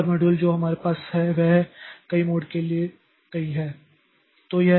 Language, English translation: Hindi, Another model that we have is the many to many models